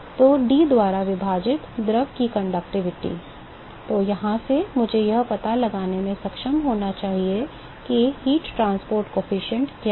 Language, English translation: Hindi, So, conductivity of the fluid divided by D, from here I should be able to find out what is the heat transport coefficient right